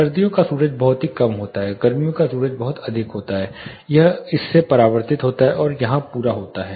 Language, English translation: Hindi, winter sun is very low you get light directly in summer sun is very high it gets you know reflected from this and caters here